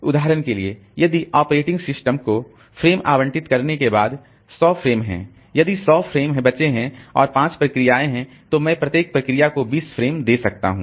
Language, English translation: Hindi, For example, if there are say 100 frames after allocating the frames to the operating system, if we are left with 100 frames and there are five processes, then for each process I can give 20 frames